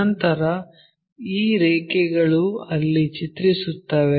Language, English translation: Kannada, Then these lines maps there